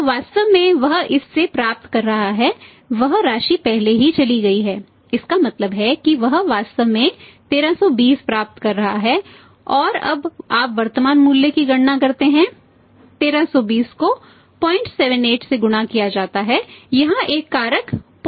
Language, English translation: Hindi, So, in fact he is receiving from this which already is gone this amount is gone it mean is he in fact is receiving 1320 and now you calculate the the present value of this 1320 into this 0